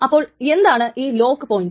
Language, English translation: Malayalam, So, what is the lock point